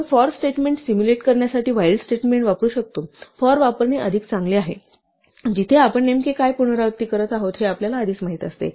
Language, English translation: Marathi, While we can use this, the while statement to simulate the 'for statement' it is much nicer to use the 'for', where it is natural where we know in advance what exactly we are repeating over